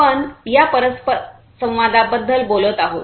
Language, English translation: Marathi, Then we are talking about this interaction